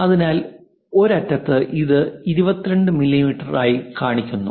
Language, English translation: Malayalam, So, from one end it is shown 22 mm this one